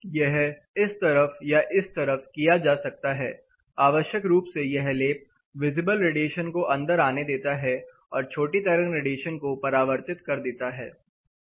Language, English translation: Hindi, It can be done on this face or this face what essentially this does this coating allows visible radiation while it reflects the shortwave